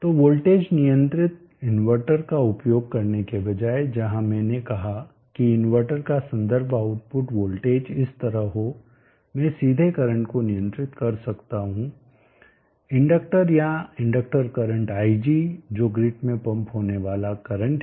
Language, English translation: Hindi, So instead of using voltage controlled inverter where I said the reference voltage of the output the inverter to be like this, I could control the current directly of the inductor at the inductor current ig which is also the current that is going to be pumped in to the grid